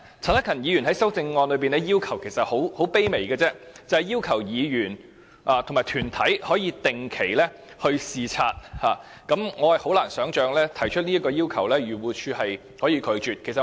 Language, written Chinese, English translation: Cantonese, 陳克勤議員在修正案中提出的要求其實很卑微，只是要求議員和團體可以定期視察，我很難想象漁護署可以拒絕這項要求。, The request raised by Mr CHAN Hak - kan in his amendment is indeed very humble he urges that Legislative Council Members and organizations be allowed to regularly inspect AMCs . How could AFCD turn down this request?